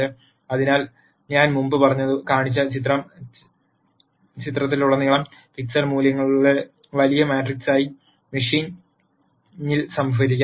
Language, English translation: Malayalam, So, the image that I showed before could be stored in the machine as a large matrix of pixel values across the image